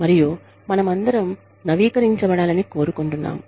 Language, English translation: Telugu, And, we all want to stay, updated